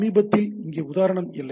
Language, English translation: Tamil, So, recently here the example was not there